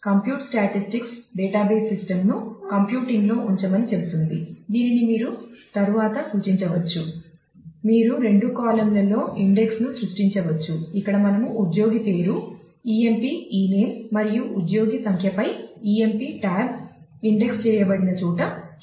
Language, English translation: Telugu, You can create index on two columns also; so, here we are showing one where emp tab is indexed on employee name emp ename and employee number together